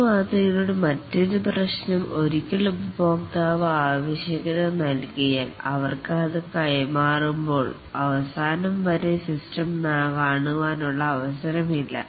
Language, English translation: Malayalam, Another problem with this model is that once the customer gives the requirement they have no chance to see the system till the end when it is delivered to them